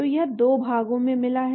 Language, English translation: Hindi, So it is got two portions